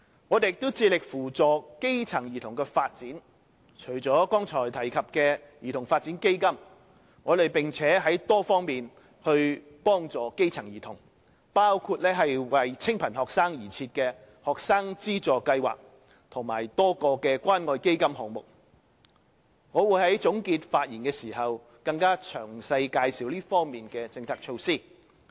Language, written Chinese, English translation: Cantonese, 我們也致力扶助基層兒童的發展，除了剛才提及的兒童發展基金，我們在多方面幫助基層兒童，包括為清貧學生而設的學生資助計劃及多個關愛基金項目，我會在總結發言時更詳細介紹這方面的政策措施。, We also endeavour to support the development of grass - roots children . Apart from CDF mentioned earlier assistance has been provided to grass - roots children on various fronts including the financial assistance schemes and a number of assistance programmes under the Community Care Fund for needy students . I will explain these policy measures in greater detail in my closing remarks